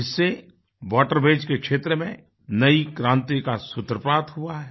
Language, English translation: Hindi, This has laid the foundation of a new revolution in the waterways sector